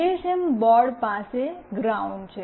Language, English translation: Gujarati, GSM board has got a ground